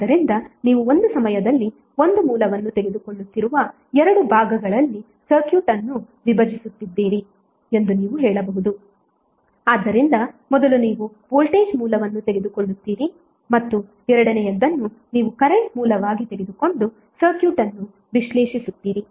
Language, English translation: Kannada, So you can say that you are dividing the circuit in 2 parts you are taking 1 source at a time so first you will take voltage source and second you will take as current source and analyze the circuit